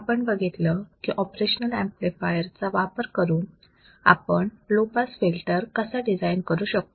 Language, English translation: Marathi, We have seen how you can use an operational amplifier for designing the low pass filter